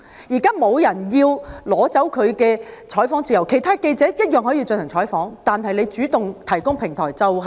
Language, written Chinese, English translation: Cantonese, 現時沒有人要拿走他的採訪自由，其他記者一樣可以進行採訪，但是他不應主動提供平台。, No one is taking away his freedom of news reporting and other journalists can do news reporting all the same . Nonetheless he should not have provided the platform